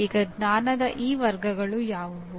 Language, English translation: Kannada, Now what are these categories of knowledge